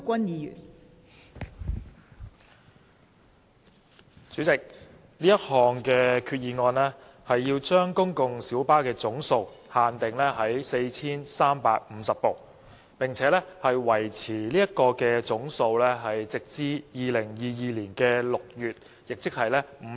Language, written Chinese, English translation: Cantonese, 代理主席，這項擬議決議案是要把公共小巴的總數上限訂為 4,350 部，並維持這個上限直至2022年6月，即是為期5年。, Deputy President this proposed resolution seeks to cap the number of public light buses PLBs at 4 350 and maintain this cap until June 2022 that is for a period of five years